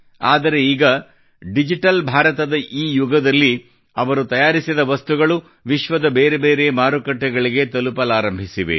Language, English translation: Kannada, But now in this era of Digital India, the products made by them have started reaching different markets in the country and the world